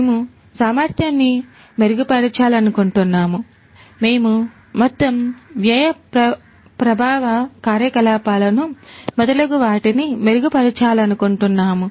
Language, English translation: Telugu, We want to improve the efficiency; we want to improve the overall cost effectiveness operations and so on and so forth